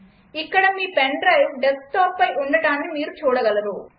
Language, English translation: Telugu, Here you can see that your pen drive is present on the desktop